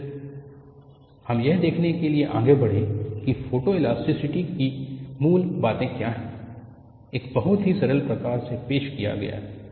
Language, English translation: Hindi, Then, we moved on to look at what is the basics of photoelasticity; it is very simple fashion